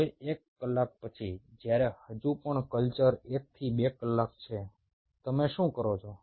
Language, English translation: Gujarati, ok, now, after one hour, while still the culture is one to two hours, what you do